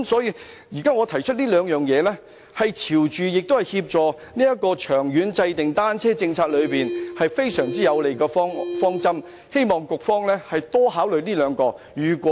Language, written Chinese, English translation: Cantonese, 因此，現在我提出的這兩項建議，既朝着有關方向，亦能協助長遠制訂單車政策，是非常有利的方針，希望局方能多加考慮。, Hence I hope the Bureau will thoroughly consider these two proposals put forward by me now which are constructive approaches in such a direction conducive to the formulation of a long - term bicycle policy